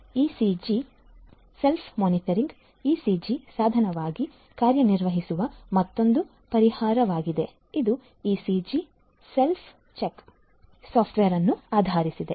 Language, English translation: Kannada, ECG Self Monitoring is another solution which serves as ECG device, based on the “ECG Self Check” software